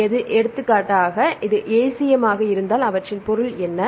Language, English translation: Tamil, So, if for example, if it is an ACM what is the meaning of ACM